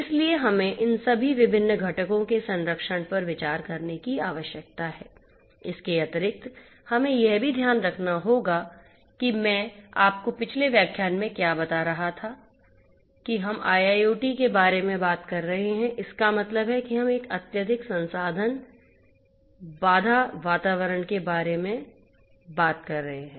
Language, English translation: Hindi, So, we need to consider the protection of all of these different components, additionally we also have to keep in mind what I was telling you in the previous lecture that we are talking about IIoT means that we are talking about a highly resource constrained environment